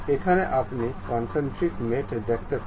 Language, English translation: Bengali, Here you can see concentric mate